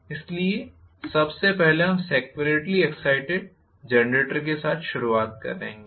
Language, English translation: Hindi, So, first of all we will start off with the separately excited generator